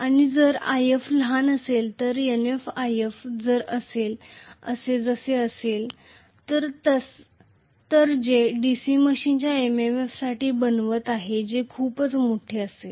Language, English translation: Marathi, And If is going to be small so Nf times If anyway which is making for the MMF of the DC machine that will be pretty much large